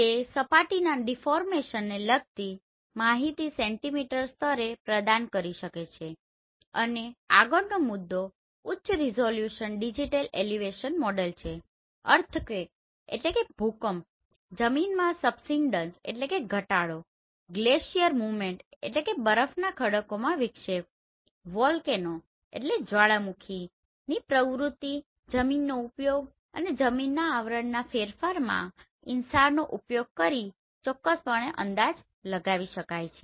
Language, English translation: Gujarati, It can provide centimeter level information related to surface deformation and the next point is high resolution digital elevation models or surface change map due to earthquake, land subsidence, glacier movement, volcanic activity, land use land cover change can be estimated accurately using this InSAR